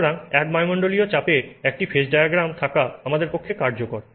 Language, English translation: Bengali, So, it is useful for us to have a phase diagram at one atmosphere pressure